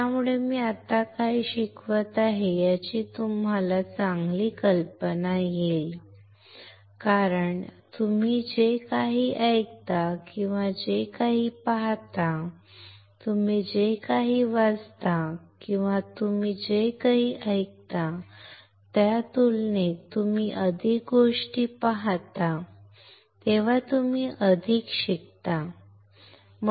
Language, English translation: Marathi, So, it will give you a better idea of what I am teaching right now, right because whatever you hear and whatever you see, when you see more things you learn more compared to what you read or what you hear, all right